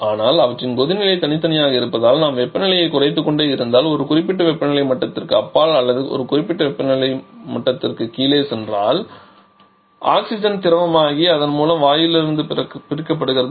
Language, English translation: Tamil, But as their me as their boiling point are separate so if we keep on lowering the temperature then beyond a particular temperature level or once you go below a particular temperature level oxygen becomes liquid and thereby gets separated from the gas